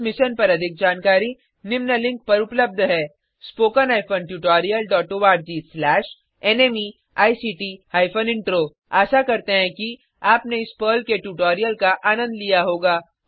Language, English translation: Hindi, More information on this Mission is available at spoken hyphen tutorial dot org slash NMEICT hyphen Intro Hope you enjoyed this Perl tutorial